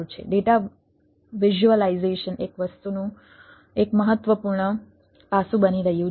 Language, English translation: Gujarati, data visualization is becoming an important aspects of the thing